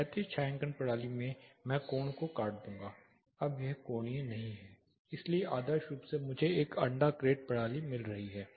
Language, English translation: Hindi, The horizontal shading system I will cut the angle this is not angular anymore, so ideally I am getting an egg crate system